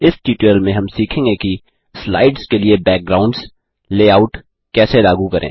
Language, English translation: Hindi, In this tutorial we learnt how to apply Backgrounds for slides, Layouts for slides Here is an assignment for you